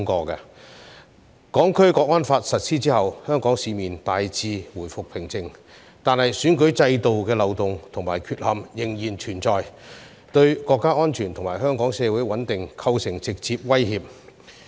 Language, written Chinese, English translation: Cantonese, 《香港國安法》實施後，香港市面大致回復平靜，但選舉制度的漏洞和缺陷仍然存在，對國家安全及香港社會穩定構成直接威脅。, After the implementation of the Hong Kong National Security Law peace has by and large been restored in Hong Kong but the loopholes and deficiencies of the electoral system have remained posing direct threats to national security and social stability in Hong Kong